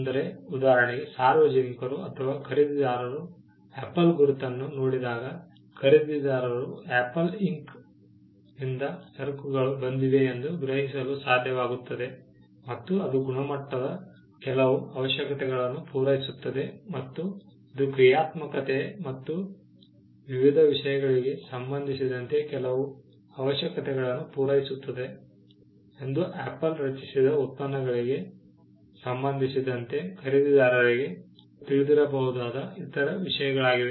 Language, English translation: Kannada, For instance, when the public or a buyer looks at the Apple logo, the buyer is able to perceive that the goods have come from Apple Inc then, it will satisfy certain requirements of quality, it will satisfy certain requirements with regard to functionality and various other things the buyer would have known with regard to products created by Apple